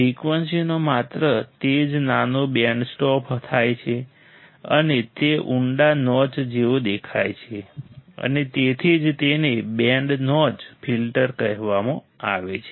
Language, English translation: Gujarati, Only that small band of frequencies are stopped right, and it looks like a deep notch and that is why it is called so called band notch filter